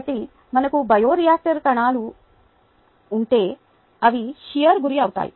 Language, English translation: Telugu, so if we have cells in a bioreactor, they are going to be subjected to shear